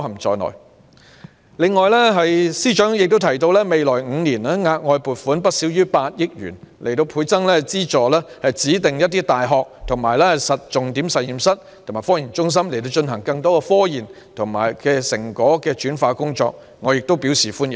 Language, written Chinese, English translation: Cantonese, 此外，司長亦提到未來5年額外撥款不少於8億元，資助指定大學及重點實驗室及科研中心，進行更多科研成果轉化工作，我亦對此表示歡迎。, In addition the Financial Secretary has also mentioned that additional funding of not less than 800 million will be provided in the next five years to fund more productization of scientific and technological achievements by designated universities key laboratories and research centres . I also welcome this proposal